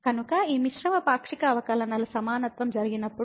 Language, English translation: Telugu, So, when the equality of this mixed partial derivatives happen